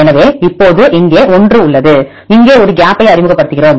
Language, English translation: Tamil, So, now here we have 1, we introduce one gap here